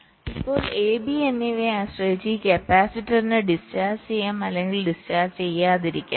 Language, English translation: Malayalam, now, depending on a and b, this capacitor can discharge or may not discharge